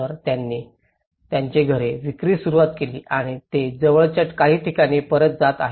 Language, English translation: Marathi, So, they started selling their houses and they are going back to some nearby areas